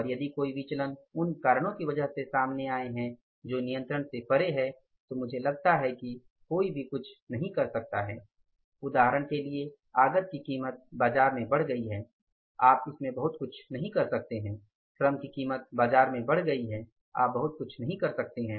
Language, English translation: Hindi, Variances if are coming up because of the reasons which were controllable but were not controlled then I think we should take the necessary action and if the any variances have come up because of the reasons which are beyond the control then I think nobody can do anything for example the price of the input has gone up in the market you can do much in that